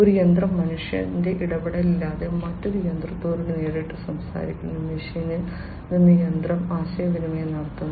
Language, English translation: Malayalam, One machine directly talking to another machine without any human intervention, machine to machine communication